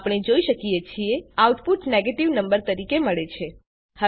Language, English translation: Gujarati, As we can see, we get the output as negative number